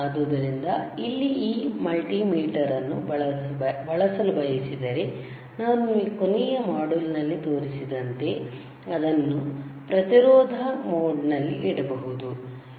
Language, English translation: Kannada, So, here if you want to use this multimeter, like I have shown you in the last module, we can we can keep it in the resistance mode